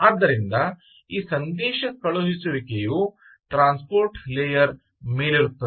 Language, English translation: Kannada, this messaging is on top of a transport layer